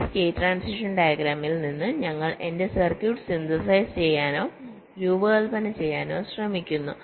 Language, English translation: Malayalam, this is what you want and from this state transition diagram we try to synthesize or design my circuit